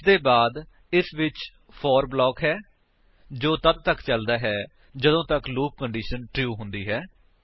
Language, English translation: Punjabi, Then it has the for block which keeps on executing till the loop condition is true